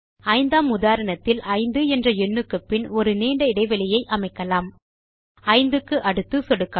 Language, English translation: Tamil, Let us introduce a long gap in the fifth example, after the number 5 .Click after 5